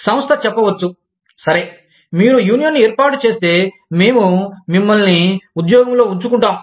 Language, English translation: Telugu, The organization may say, okay, if you form a union, we will have you, we will fire you